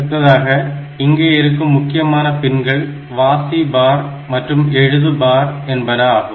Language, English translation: Tamil, Another important pins that we have this read bar and write bar